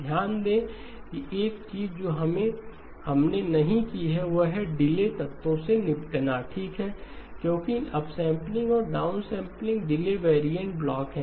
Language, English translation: Hindi, Notice that one thing that we have not done is to deal with the delay elements okay, because the upsampling and downsampling are delay variant blocks